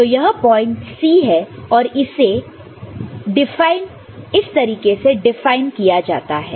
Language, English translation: Hindi, So, this is the point C, that is how it is defined